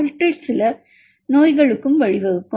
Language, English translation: Tamil, Some of them may also lead to diseases